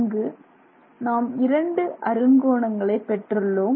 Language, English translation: Tamil, Let's look at two different hexagons here